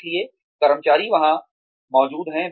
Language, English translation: Hindi, So, employees are there